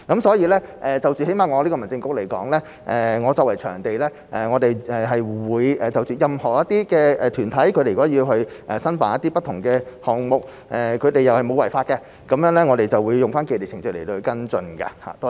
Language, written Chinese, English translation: Cantonese, 所以，最低限度在我們民政事務局而言，作為場地管理部門，任何團體如果要申辦不同的項目，只要沒有違法，我們就會按照既定程序來跟進。, Hence from the perspective of the Home Affairs Bureau at the very least we as the venue management department will handle the application for organizing various events from any organization according to the established procedures as long as there is no violation of the law